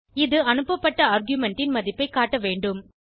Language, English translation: Tamil, It should display the value of the argument passed